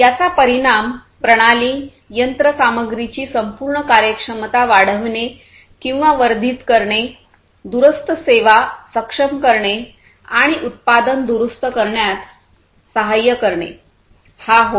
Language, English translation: Marathi, And the effect is to increase or enhance the overall performance of the system, of the machinery, enabling remote services, assisting in repairing the product, and so on